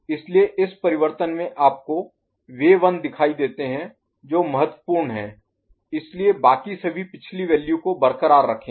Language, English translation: Hindi, So, at this change you see the 1 that are important so all of them are remaining at the previous value